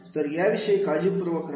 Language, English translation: Marathi, So, be careful about that